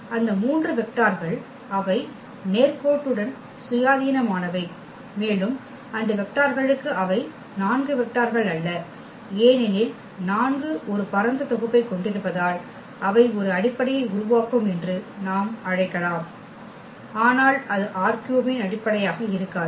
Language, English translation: Tamil, So, those 3 vectors they are linearly independent and for those vectors we can call that they will form a basis not the 4 vectors because 4 are also spanning set, but that will not be the basis of R 3 in that example